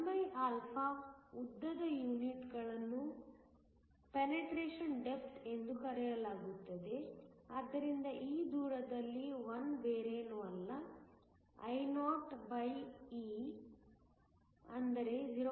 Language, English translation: Kannada, 1, which has a units of length is called the Penetration depth so that, at this distance I is nothing but, Ioe which is 0